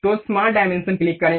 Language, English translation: Hindi, So, smart dimension, click